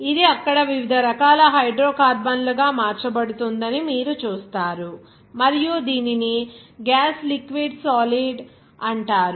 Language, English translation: Telugu, You will see that it will be converted into different types of Hydrocarbons there and this is called gas liquid solid